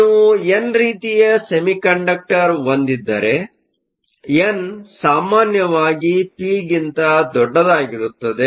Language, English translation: Kannada, If you have an n type semiconductor, n is typically much larger than p